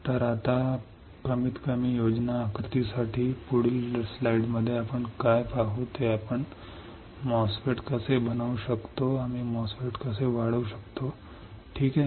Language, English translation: Marathi, So, for at least schematic diagram now, in the next slide what we will see is how we can fabricate a MOSFET, how we can fabricate an enhancement type MOSFET ok